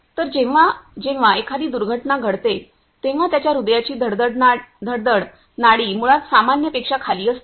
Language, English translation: Marathi, So, that whenever person go through an accident, its heart beats pulse is basically below from the normal